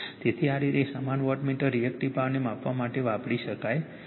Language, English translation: Gujarati, So, this way watt same wattmeter , you can used for Measuring the Reactive Power right